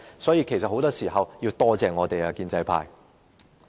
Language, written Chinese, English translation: Cantonese, 所以，建制派很多時候都應該多謝我們。, Therefore in many cases the pro - establishment camp should thank us